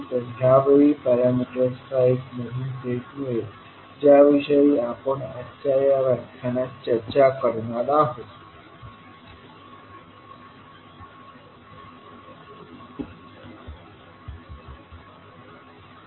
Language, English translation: Marathi, That will give the new set of parameters which we will discuss in today’s session